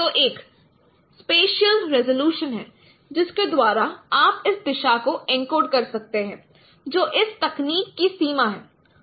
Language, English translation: Hindi, So there is a resolution, spatial resolutions by which you can encode this directions